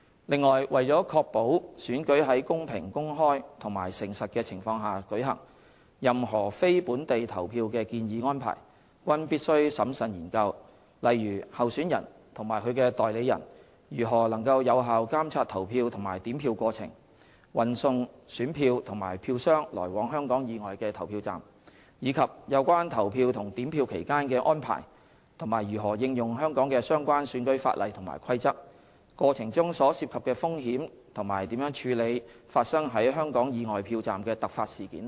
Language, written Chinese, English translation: Cantonese, 另外，為確保選舉在公平、公開和誠實的情況下舉行，任何非本地投票的建議安排均必須審慎研究，例如候選人及其代理人如何能有效監察投票及點票過程、運送選票及票箱來往香港以外的投票站，以及有關投票及點票期間的安排及如何應用香港的相關選舉法例及規則、過程中所涉及的風險及如何處理發生於香港以外票站的突發事件等。, Besides to ensure that elections are conducted in a fair open and honest manner any proposed arrangements for polling outside Hong Kong must be critically examined such as how the polling and counting process could be effectively monitored by candidates and their agents transportation of ballot papers and ballot boxes to and from polling stations outside Hong Kong as well as the relevant arrangements during polling and counting and application of Hong Kongs relevant electoral legislation and regulation during the process the risks involved in the process and ways of handling any emergency and unforeseen incidents occurring at polling stations outside Hong Kong etc